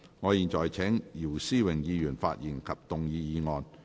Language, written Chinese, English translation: Cantonese, 我現在請姚思榮議員發言及動議議案。, I now call upon Mr YIU Si - wing to speak and move the motion